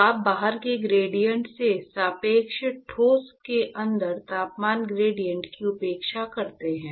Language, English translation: Hindi, So, you neglect temperature gradient, relative to inside the solid relative to gradient outside